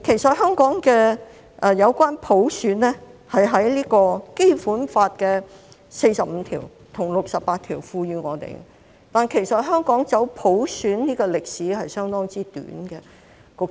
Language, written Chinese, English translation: Cantonese, 至於普選，是《基本法》第四十五條和第六十八條賦予香港的，但香港走普選的歷史相當短。, As for universal suffrage it is conferred on Hong Kong by Article 45 and Article 68 of the Basic Law but Hong Kong has a rather short history of going for universal suffrage